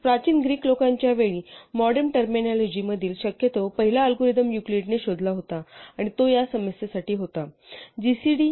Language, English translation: Marathi, So at the time of the ancients Greeks, what was possibly the first algorithm in modem terminology was discovered by Euclid, and that was for this problem gcd